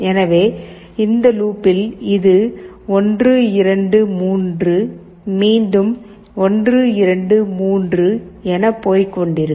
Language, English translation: Tamil, So in this loop, it will go along 1, 2, 3 again 1, 2, 3 like this